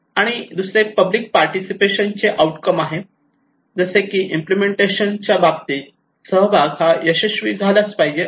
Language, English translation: Marathi, And another one is the outcome of public participation, like participation should be successful in terms of implementations